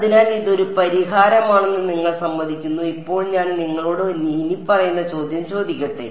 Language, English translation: Malayalam, So, you agree that this is a solution now let me ask you the following question